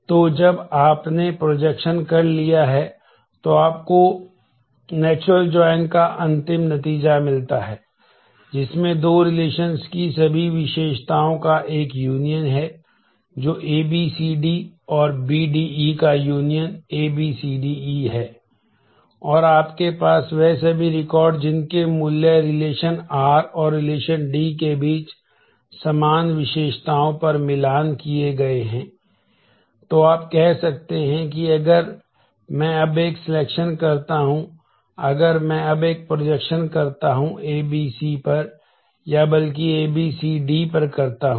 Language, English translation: Hindi, So, after you have done this projection, you get the final result of the natural join, which has a union of all the attributes that the 2 relations at A B C D and B D E union is A B C D E and you have all those records whose values matched on the common attributes between relation r and relation D